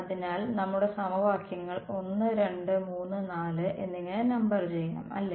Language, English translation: Malayalam, So, let us number our equations was 1 2 3 4 ok